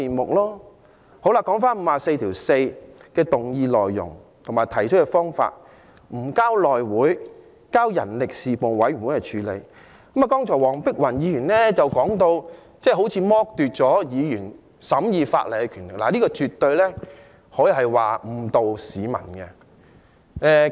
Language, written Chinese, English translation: Cantonese, 就根據《議事規則》第544條動議的議案內容，即《條例草案》不交內會而交由人力事務委員會處理，黃碧雲議員剛才說成是剝奪議員審議法例的權力，但這絕對是誤導市民的。, According to the motion moved under Rule 544 of the Rules of Procedure the Bill shall be referred to the Panel on Manpower instead of the House Committee . Dr Helena WONG just said that this was depriving Members of the right to scrutinize the Bill but her remark is definitely misleading the public